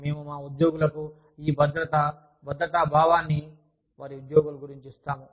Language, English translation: Telugu, We give our employees, this security, the sense of security, about their jobs